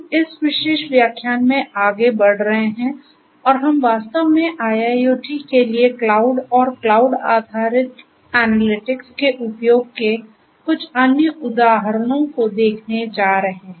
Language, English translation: Hindi, So, we are going to continue further in this particular lecture and we are going to look at few other examples of use of cloud and analytics cloud based analytics in fact, for IIoT